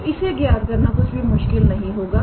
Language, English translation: Hindi, So, calculating this one is not difficult